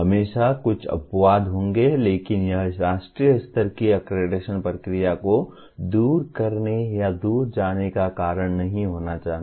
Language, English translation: Hindi, There will always be a few exceptions but that should not be the reason for giving away or throwing away a national level accreditation process